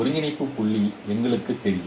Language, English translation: Tamil, And we know the coordinate points